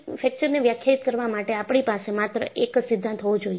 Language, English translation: Gujarati, So, I should have only one theory for fracture to be defined